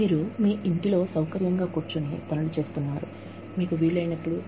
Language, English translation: Telugu, You are sitting in the comfort of your home, doing things, when you can